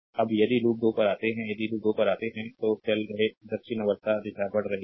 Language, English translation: Hindi, Now, if you come to loop 2, if you come to loop 2 you are moving you are ah um clockwise direction you are moving